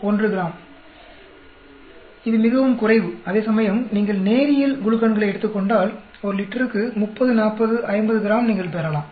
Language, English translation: Tamil, 1 gram, it is quite low; whereas if take you linear glucans you may get in 30, 40, 50 grams per liter